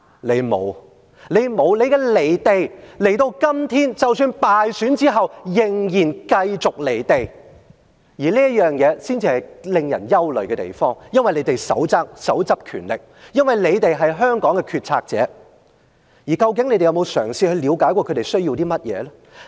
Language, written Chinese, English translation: Cantonese, 你們沒有，你們的離地，今天即使敗選仍然繼續離地，而這點才是令人憂慮的地方，因為你們手握權力，因為你們是香港的決策者，究竟你們有沒有嘗試了解他們需要甚麼呢？, The most worrying thing is that in spite of your defeat you remain out of touch with reality . You are the ones in power because you make the decision for Hong Kong . But have you ever tried to understand what they need?